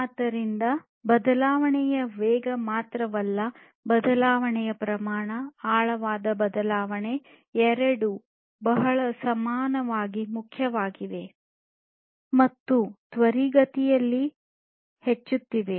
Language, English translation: Kannada, So, not only the speed of change, but also the scale of change, the profound change both are very equally important and are increasing in rapid pace